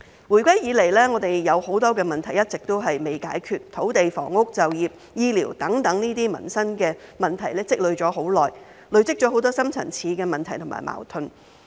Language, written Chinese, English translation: Cantonese, 回歸以來，我們有很多問題一直都未解決，土地、房屋、就業、醫療等民生問題積累已久，累積了很多深層次的問題及矛盾。, Since the return of Hong Kong to China many problems have remained unresolved including such perennial livelihood problems as land housing employment and healthcare and many deep - rooted problems and conflicts have been added on